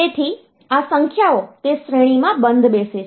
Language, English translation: Gujarati, So, these numbers fit in that range